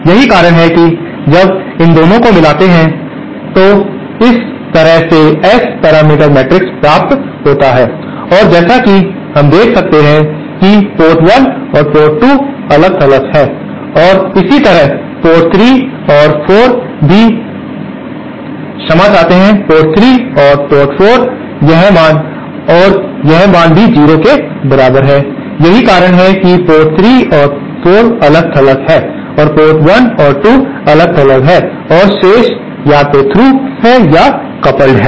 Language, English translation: Hindi, And that is why when combining both these, they are getting this kind of S parameter matrix and as we can see port 1 and 2 are isolated and similarly port port 3 and 4 they are also sorry, port 3 and 4, this value and this value is also equal to 0